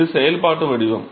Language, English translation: Tamil, So, that is the functional form